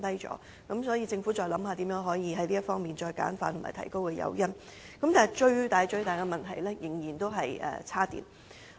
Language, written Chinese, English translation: Cantonese, 所以，政府應該思考如何簡化政策、提高誘因，但當中最大的問題仍然是充電設施。, Hence the Government should think about how to simplify the policy and provide more incentives . But the biggest problem remains the charging facilities